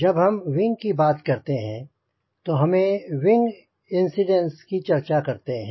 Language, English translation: Hindi, when you talk about wing, we also should talk about wing incidence